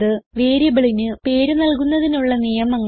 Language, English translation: Malayalam, And We have also learnt the rules for naming a variable